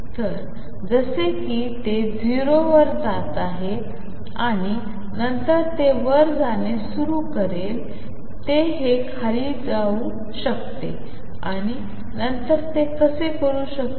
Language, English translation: Marathi, So, that as if it is going to 0 and then it will start blowing up it could do this come down and then do this